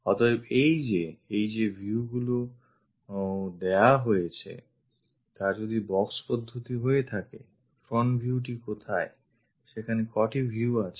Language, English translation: Bengali, So, these are the views given if it is box method where is the front view, how many views are there